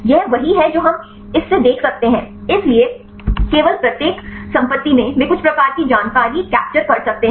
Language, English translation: Hindi, This is what we can observe from this one; so only each property they can captured some type of information